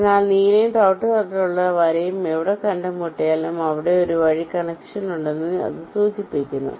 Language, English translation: Malayalam, so wherever the blue and a brown line will meet, it implies that there is a via connection there